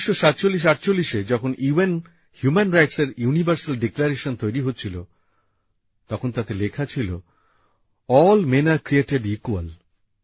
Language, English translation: Bengali, In 194748, when the Universal Declaration of UN Human Rights was being drafted, it was being inscribed in that Declaration "All Men are Created Equal"